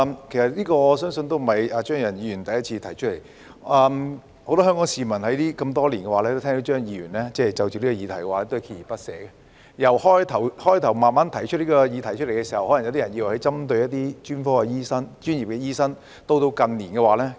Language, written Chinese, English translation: Cantonese, 這不是張宇人議員第一次提出類似議案，很多香港市民多年來都聽到張議員就此議題鍥而不捨，剛開始提出這項議題時，可能有人以為他針對專業醫生，到了近年已有改變。, This is not the first time Mr Tommy CHEUNG has proposed a motion of this kind . Many Hong Kong people must have heard over the years that Mr CHEUNG has been persistently pursuing this issue . When he first raised this issue some people might think that he was targeting at professional doctors but that has changed in recent years